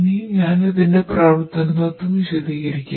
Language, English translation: Malayalam, Now, I will explain the working principle